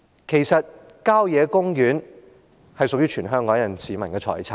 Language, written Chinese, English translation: Cantonese, 其實，郊野公園是屬於全香港市民的財產。, In fact country parks are a kind of property of all people in Hong Kong